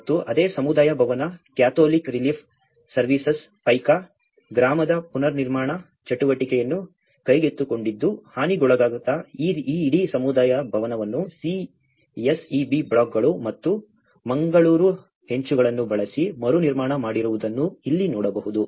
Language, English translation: Kannada, And the same community hall, the Catholic Relief Services has taken the reconstruction activity of the Paika village and here you can see that this whole community hall which has been damaged has been reconstructed and using the CSEB blocks and the Mangalore tiles